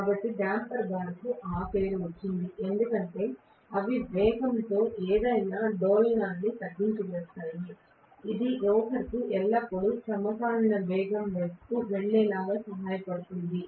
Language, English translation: Telugu, So damper bar gets that name because they damp out any oscillation in the speed, it is going to make sure that it is going to aid the rotor always goes towards synchronous speed